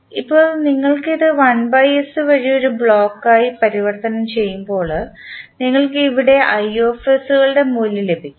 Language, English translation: Malayalam, Now, when you transform this through 1 by S as a block you get the value of i s here